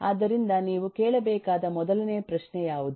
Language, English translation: Kannada, so what is the first question you need to ask